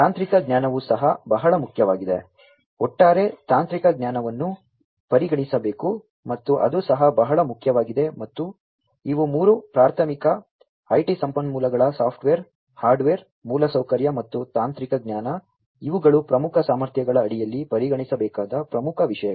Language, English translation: Kannada, The technical knowhow that is also very important, the overall the technical knowhow has to be considered, and that is also very important and these are the three primary, the IT resources software, hardware infrastructure, and the technical knowhow, these are the key things to be considered under core competencies